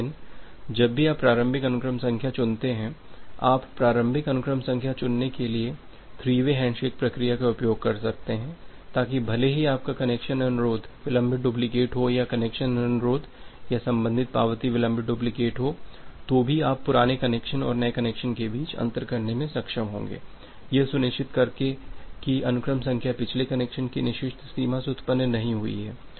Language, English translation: Hindi, But, whenever you are selecting the initial sequence number, you can use this three way handshake mechanism for selecting the initial sequence number such that such that even if your connection request is the delayed duplicate or the connection request or the corresponding acknowledgement is the delayed duplicate you will be able to differentiate between the old connection and the new connection, by ensuring that the sequence numbers are not generated from the forbidden range of the previous connection